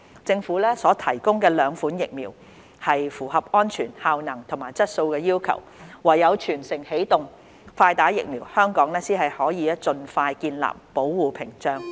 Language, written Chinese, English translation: Cantonese, 政府所提供的兩款疫苗符合安全、效能和質素要求，唯有"全城起動，快打疫苗"，香港才能盡快建立保護屏障。, The two vaccines provided by the Government fulfil the criteria of safety efficacy and quality . Only through the Early Vaccination for All campaign can Hong Kong build a barrier for protection with no delay